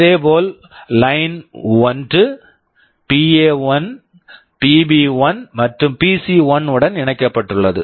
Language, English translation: Tamil, Similarly, Line1 is connected to PA1, PB1, PC1